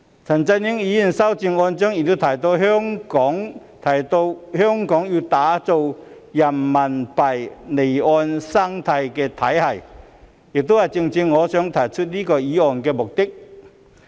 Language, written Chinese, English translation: Cantonese, 陳振英議員的修正案亦提到香港要打造人民幣離岸生態體系，這亦正正是我提出這項議案的目的。, Mr CHAN Chun - yings amendment also mentions the need for Hong Kong to create an offshore ecosystem for RMB . This is exactly the purpose for me to propose this motion